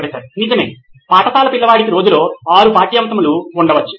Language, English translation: Telugu, Right, school kid probably has 6 subjects in a day